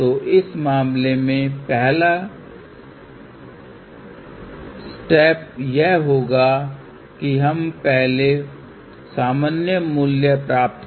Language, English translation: Hindi, So, the first step in that case would be is we get the normalize value